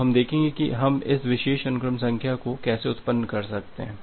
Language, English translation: Hindi, So, we will see that how we can generate this particular sequence number